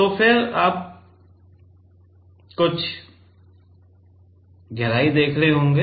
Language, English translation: Hindi, So, then you will be seeing some depth here